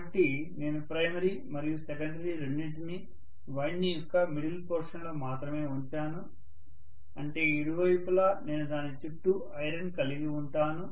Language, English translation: Telugu, So I may have primary and secondary both put up only in the middle portion of the winding which means on either side I am going to have iron surrounding it